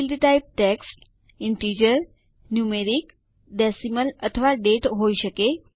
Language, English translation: Gujarati, Field types can be text, integer, numeric, decimal or date